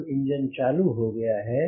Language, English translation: Hindi, the engine is out